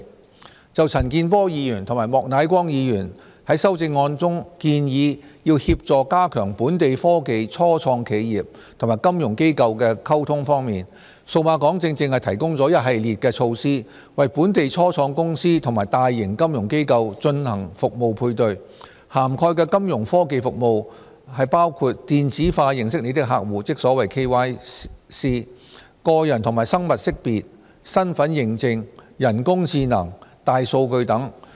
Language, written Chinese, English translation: Cantonese, 關於陳健波議員及莫乃光議員在修正案中建議協助加強本地科技初創企業和金融機構的溝通，數碼港正正提供了一系列的措施，為本地初創公司和大型金融機構進行服務配對，涵蓋的金融科技服務包括"電子化認識你的客戶"、個人和生物識別、身份認證、人工智能、大數據等。, In respect of the proposal in the amendments of Mr CHAN Kin - por and Mr Charles Peter MOK of assisting in enhancing communication between local technology start - ups and financial institutions Cyberport has provided a series of measures to match the services of local start - ups and large financial institutions covering Fintech services which include electronic know your client eKYC utilities personal and biometric identification identity verification artificial intelligence and big data etc